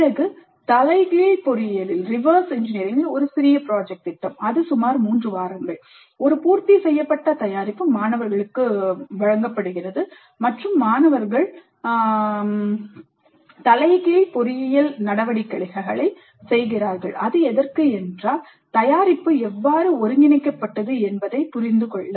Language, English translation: Tamil, Then a small project in reverse engineering, a completed product is given and the students do the reverse engineering activities in order to understand how the product was synthesized